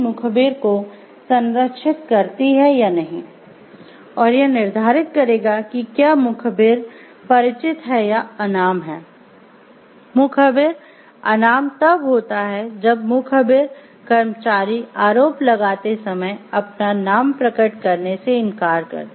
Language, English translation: Hindi, Anonymous whistle blowing occurs, when the employee who is blowing the whistle refuses to reveal his name when making allegations